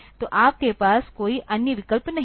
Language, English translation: Hindi, So, you do not have any other option